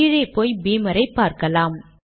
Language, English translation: Tamil, If you go down and check Beamer